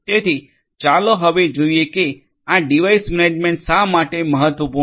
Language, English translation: Gujarati, So, let us now look at why this device management is important